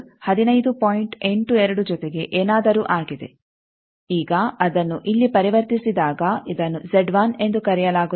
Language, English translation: Kannada, 82 plus something now that when it is converted here this is called Z 1